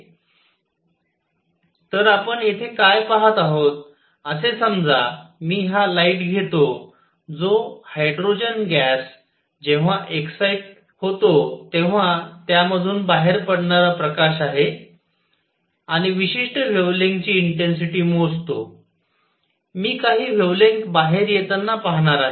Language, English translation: Marathi, So, what we are seeing here is that suppose, I take the light coming out of hydrogen gas when it is excited and measure the intensity of particular wavelengths, I am going to see certain wavelengths coming out